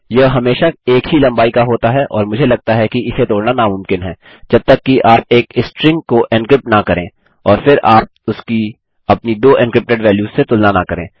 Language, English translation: Hindi, Its always the same length and I believe its impossible to crack unless you encrypt a string and then you compare it to your two encrypted values